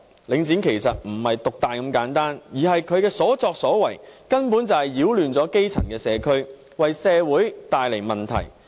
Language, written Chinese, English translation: Cantonese, 領展其實不是獨大這麼簡單，而是它的所作所為根本就是擾亂基層社區，為社會帶來問題。, In fact the problem with Link REIT does not lie simply in its monopolistic nature rather its conduct has practically caused disruptions to grass - roots communities and created problems for society